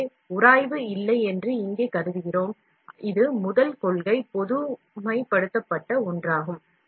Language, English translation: Tamil, So, here we assume there is no friction, it’s first principle generalized one, we get it